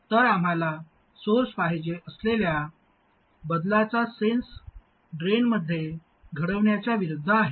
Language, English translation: Marathi, So the sense of change we want at the source is opposite of what is happening at the drain